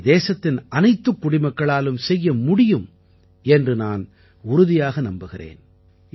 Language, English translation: Tamil, And I do believe that every citizen of the country can do this